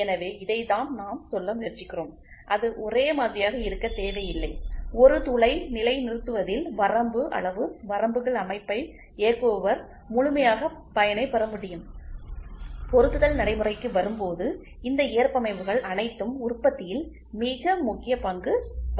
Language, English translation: Tamil, So, this is what we are trying to say, it can be uniform it need not be uniform, the operator can take full advantage of the limit size limits system especially in positioning a hole when assembly comes into existence all these tolerances play a very important role in manufacturing